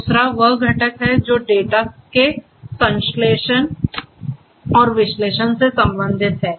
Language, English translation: Hindi, Second is the component that deals with the synthesis and analysis of the data